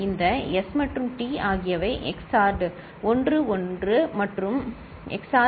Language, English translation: Tamil, These S and T are XORed, 1 and 1 is XORed